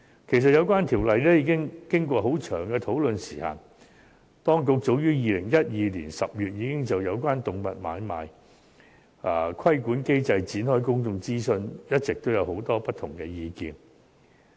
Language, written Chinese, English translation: Cantonese, 其實，有關規例已經過長時間的討論，當局早於2012年10月已就有關動物買賣規管機制展開公眾諮詢，一直都有很多不同的意見。, As a matter of fact the relevant regulation has been discussed for a long period of time and public consultation on the regulatory regime of animal trading was conducted in as early as October 2012 during which different views had been collected